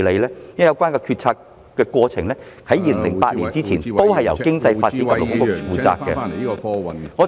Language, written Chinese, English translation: Cantonese, 因為有關決策的過程在2008年前也是由商務及經濟發展局負責......, It is because CEDB was also responsible for the decision - making process in this respect before 2008